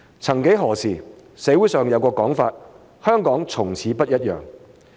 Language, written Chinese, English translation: Cantonese, 曾幾何時，社會上有個講法，說香港從此不一樣。, At some time in the past there was a saying in the community that Hong Kong would never be the same again